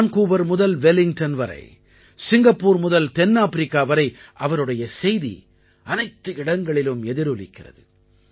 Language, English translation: Tamil, From Vancouver to Wellington, from Singapore to South Africa his messages are heard all around